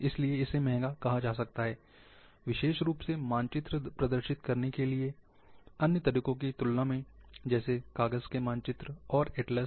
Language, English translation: Hindi, It can be said, expensive, especially compared to paper maps, atlas, and other way of representing the maps